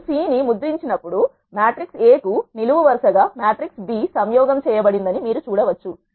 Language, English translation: Telugu, When you print the C you can see that the matrix B has been concatenated as a column to the matrix A